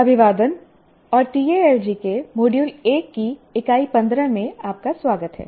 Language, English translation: Hindi, Greetings and welcome to Unit 15 of Module 1 of Talji